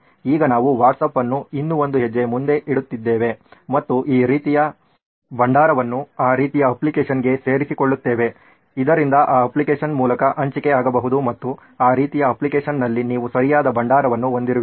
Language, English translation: Kannada, Now we are taking WhatsApp one step further and incorporating a repository like this into some that kind of an application so that sharing can happen through that application and you have a proper repository existing in that kind of an application